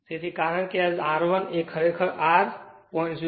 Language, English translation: Gujarati, So, because this R 1 actually this R actually it is given 0